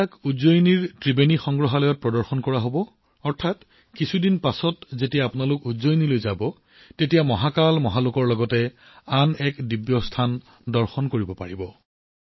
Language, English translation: Assamese, These will be displayed in Ujjain's Triveni Museum… after some time, when you visit Ujjain; you will be able to see another divine site along with Mahakal Mahalok